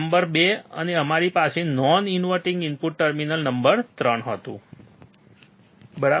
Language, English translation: Gujarati, Number 2 and we had non inverting input terminal number 3, right